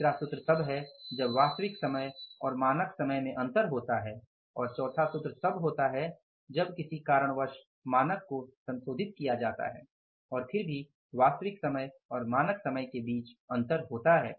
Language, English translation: Hindi, Third formula is when there is a difference in the actual time, total actual time and the total standard time then the third formula and the fourth formula is that if the standard is revised because of any reason and still there is a difference between the actual time and the standard time than the fourth formula